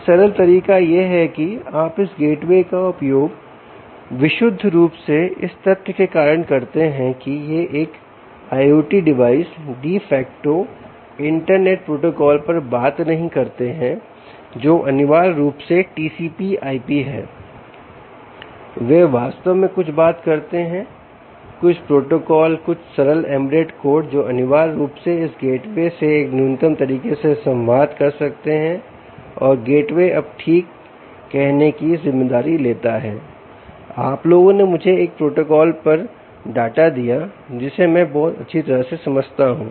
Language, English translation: Hindi, one simple way is you use this gateway purely because of the fact that these i o t devices don't talk the de facto internet protocol, which is essentially t c p i p, they in fact talk something, some protocol, some simple embedded code which essentially can communicate in its minimalistic way to this gateway